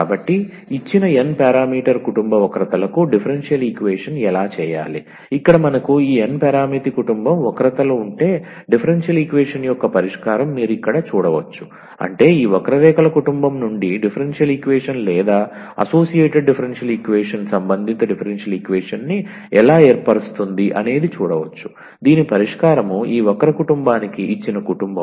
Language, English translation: Telugu, So, how to get the how to do this formation of the differential equation for given n parameter family of curves; so what you have see here if we have this n parameter family of curves; meaning the solution of a differential equation then from this given family of curves how to form the differential equation or the associated differential equation corresponding differential equation whose solution is this given family of curves